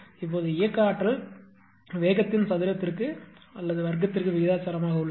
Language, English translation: Tamil, Now as kinetic energy is proportional to the square of the speed right